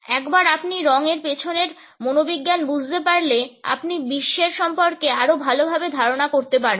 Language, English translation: Bengali, Once you understand the psychology behind colors, you will be better equipped to take on the world